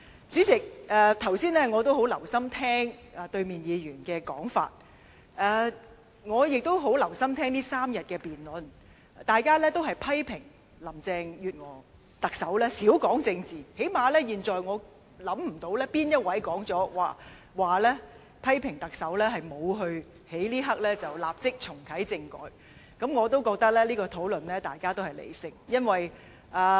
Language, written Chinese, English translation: Cantonese, 主席，我剛才十分留心聆聽反對派議員的發言，也十分留心聆聽這3天辯論期間，大家均批評特首林鄭月娥少談政治，但最少我現在想不到有哪位議員批評特首沒有在這一刻立即重啟政改，因為，我也認為大家的討論是理性的。, President I have listened carefully to the speeches made by opposition Members just now and in the course of the debate over these three days . Members have criticized Chief Executive Carrie LAM for shirking from the topic of politics . However I believe that our discussion is rational so at least I cannot think of any Members blaming the Chief Executive for not immediately reactivating constitutional reform